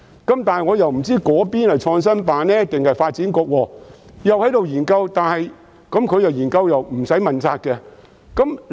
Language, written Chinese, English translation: Cantonese, 但是，我不知是創新辦還是發展局卻正在研究，而研究是無須問責的。, I am not sure whether PICO or DEVB is conducting the study but neither of them will be held accountable for this